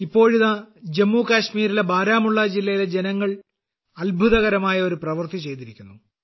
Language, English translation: Malayalam, Now the people of Baramulla district of Jammu and Kashmir have done a wonderful job